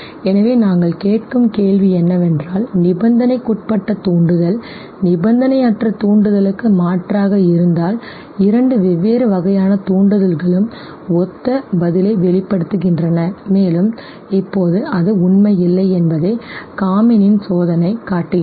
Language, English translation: Tamil, So the question that we were asking was that is it if that conditioned stimulus substitutes the unconditioned stimulus, it is that two is different type of stimuli elicits similar response, and Kamin’s experiment now shows that no that is not true